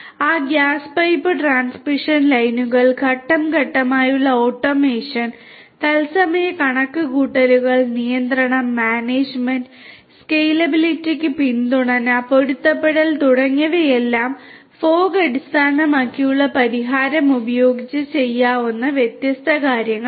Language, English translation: Malayalam, Those gas pipe transmission lines step by step automation, real time computation, control, management, support to scalability, adaptability etcetera all of these are different things that can be done using a fog based solution